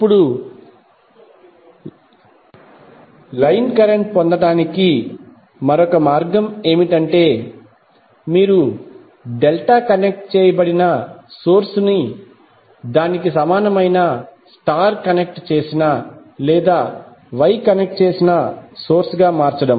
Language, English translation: Telugu, Now another way to obtain the line current is that you replace the delta connected source into its equivalent star connected or Y connected source